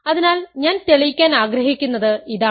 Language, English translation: Malayalam, So, one example I want to give is the following